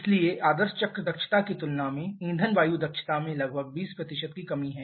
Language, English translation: Hindi, So, there is about 20% reduction in the fuel air efficiency compared to the ideal cycle efficiency